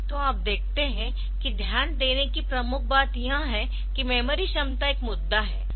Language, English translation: Hindi, So, you see the major point to note is the memory capacity is a is an issue